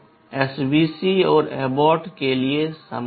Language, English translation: Hindi, Similar for SVC and abort